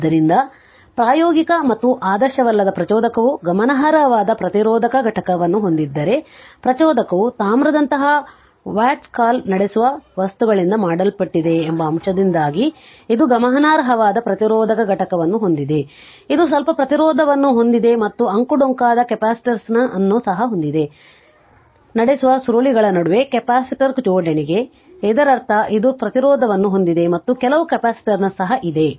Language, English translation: Kannada, So, if practical and non ideal inductor has a significant resistive component, it has significant resistive component due to the your fact that the inductor is made of a your what you call conducting material such as copper, which has some resistance and also has a winding capacitance due to the your capacitive coupling between the conducting coils; that means, it has resistance also some capacitance is there right